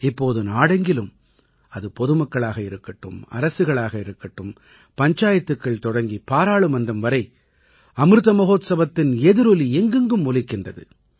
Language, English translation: Tamil, And now, throughout the country, whether it's common folk or governments; from Panchayats to Parliament, the resonance of the Amrit Mahotsav is palpable…programmes in connection with the Mahotsav are going on successively